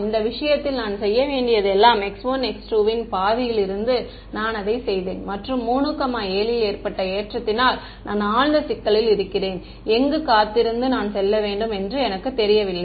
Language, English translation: Tamil, Yeah exactly for this case all I had to do was make x 1 x 2 from half, I made it 3 7 and boom I am in deep trouble, I have no good way of knowing where to go wait that is that is